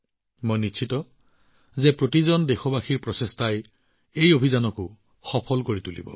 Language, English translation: Assamese, I am sure, the efforts of every countryman will make this campaign successful